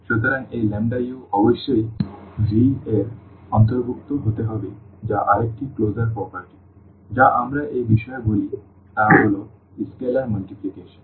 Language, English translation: Bengali, So, this lambda u must also belong to V that is another closure property which we call with respect to this is scalar multiplication